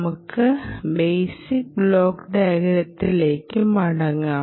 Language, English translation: Malayalam, let us go back to a very basic circuit ah block diagram